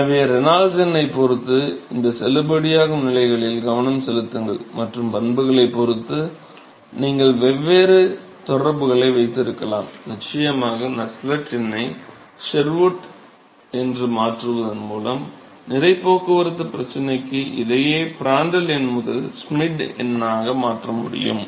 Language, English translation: Tamil, So, therefore, pay attention to these validity regimes depending upon the Reynolds number and depending upon the properties, you may have to different correlations, once again of course, I can translate the same thing to mass transport problem by replacing the Nusselt number with Sherwood and Prandtl number to Schmidt number